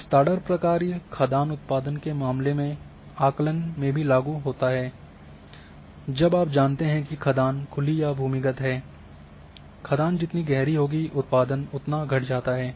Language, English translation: Hindi, And the spread function also applicable for estimation of mine output has you know that the mine whether it is open cast mine or underground mine the mine get deeper the output reduces